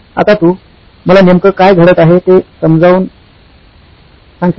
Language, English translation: Marathi, Now can you explain to me what’s happening